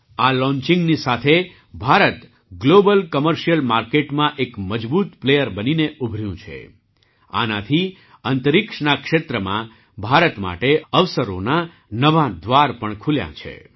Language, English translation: Gujarati, With this launching, India has emerged as a strong player in the global commercial market…with this, new doors of oppurtunities have also opened up for India